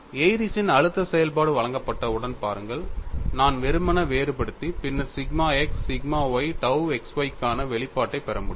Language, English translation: Tamil, See once Airy's stress function is given, I could simply differentiate and then get the expression for sigma x, sigma y, tau xy